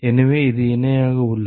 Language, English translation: Tamil, So, that is parallel